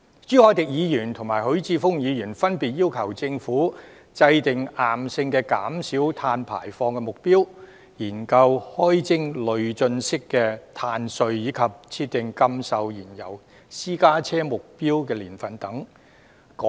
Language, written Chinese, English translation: Cantonese, 朱凱廸議員及許智峯議員分別要求政府制訂硬性的減少碳排放目標、研究開徵累進式的"碳稅"，以及設定禁售燃油私家車的目標年份等。, Mr CHU Hoi - dick and Mr HUI Chi - fung respectively requested that the Government should lay down a rigid emission reduction target; conduct a study on levying a progressive carbon tax; and set a target year for the prohibition of sale of fuel - engined private cars